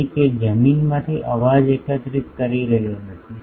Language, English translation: Gujarati, So, it is not collecting the noise from the ground